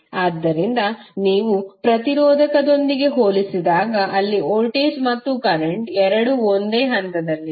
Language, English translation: Kannada, So when you compare with the resistor, where voltage and current both are in phase